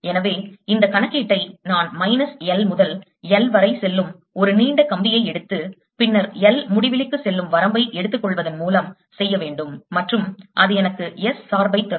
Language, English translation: Tamil, so i have to actually do this calculation by taking a long wire going from minus l to l and then taking the limit l, going to infinity, and that'll give me the s dependence